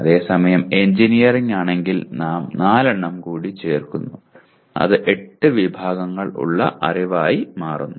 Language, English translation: Malayalam, Whereas if it is engineering we are adding additional 4 and it becomes 8 categories of knowledge